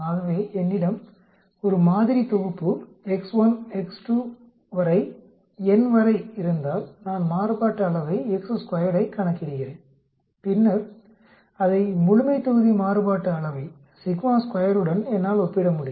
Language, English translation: Tamil, So if I have a sample set x1, x2 up to n I calculate a variance x square, then I can compare it with the population variance of sigma square